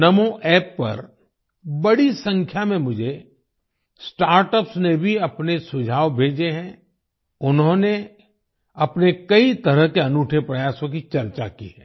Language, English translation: Hindi, A large number of Startups have also sent me their suggestions on NaMo App; they have discussed many of their unique efforts